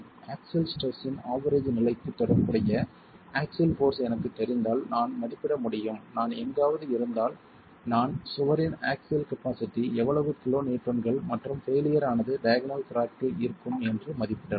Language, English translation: Tamil, If I know the axial force corresponding to the average level of axial stress, I will be able to estimate, okay, so I am somewhere there, I can go and estimate that the axial, the shear capacity of the wall is so much kiloons and the failure is expected to be in diagonal cracking